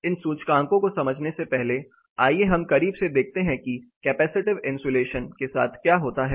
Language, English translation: Hindi, First let us take closer look at what happens with the capacitive isolation